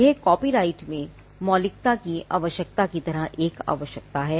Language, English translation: Hindi, It is a requirement like the original originality requirement in copyright